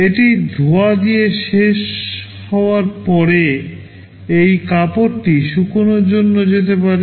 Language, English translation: Bengali, After it is finished with washing, this cloth can go for drying